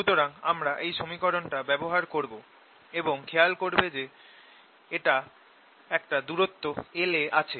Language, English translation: Bengali, so we use this equation and i am observing it at some distance l